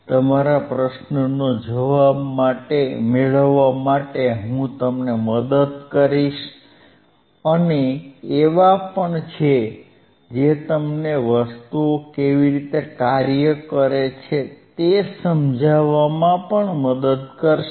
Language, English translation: Gujarati, I will I will help you to get the answer ofto whatever your question is and also there are tashose who will help you out to understand how the things work ah